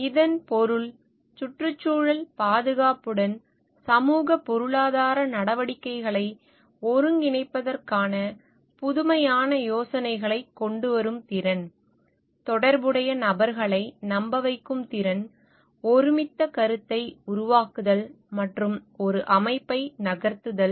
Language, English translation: Tamil, Means, ability to come up with innovative ideas for integrating socioeconomic activities with the environmental conservation, ability to convince relevant people build consensus and move an organization